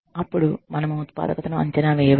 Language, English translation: Telugu, Then, we can assess the productivity